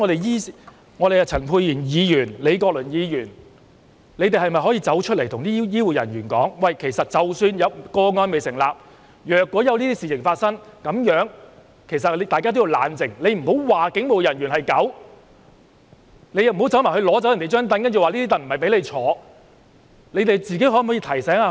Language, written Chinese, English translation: Cantonese, 醫院管理局、陳沛然議員或李國麟議員是否可以公開告訴醫護人員，即使個案未成立，但若發生這類事情，大家要冷靜，不要罵警務人員是狗，也不要取走警務人員的椅子，說不是給他坐的？, Can the Hospital Authority Dr Pierre CHAN or Prof Joseph LEE openly tell the heath care staff that even if a case is yet to be substantiated when such an event occurs they should stay calm? . They should not call the police officers dogs . Neither should they take away a police officers chair saying that it is not his seat